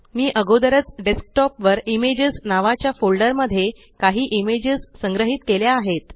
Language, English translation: Marathi, I have already stored some images on the Desktop in a folder named Images